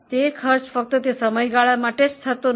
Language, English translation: Gujarati, These are not costs just for that period